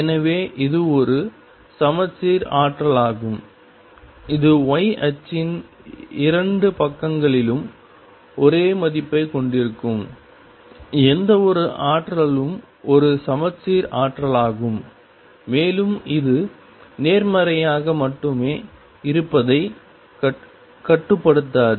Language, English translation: Tamil, So, this is a symmetric potential any potential that has exactly the same value on 2 sides of the y axis is a symmetric potential and does not confine to potential being only positive